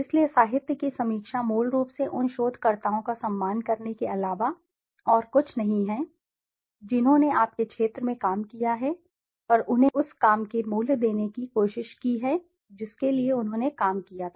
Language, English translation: Hindi, So the literature review is basically nothing but respecting those researchers who have worked in your area and trying to give them the value of work worth they had done for